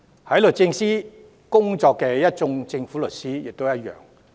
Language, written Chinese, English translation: Cantonese, 在律政司工作的一眾政府律師亦然。, The same is true for the team of government counsels working in DoJ